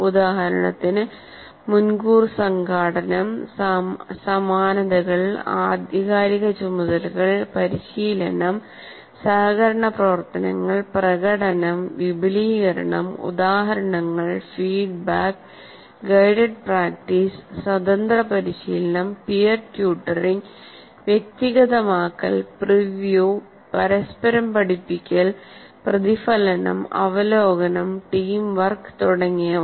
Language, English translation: Malayalam, For example, advanced organizers, analogies, authentic tasks, coaching, collaborative work, cooperative work, demonstration, elaboration, examples, non examples, feedback, guided practice, independent practice, peer tutoring, personalization, preview, reciprocal teaching, reflection, review, teamwork, etc